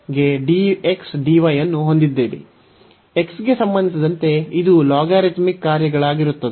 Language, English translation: Kannada, So, with respect to x this will be the logarithmic functions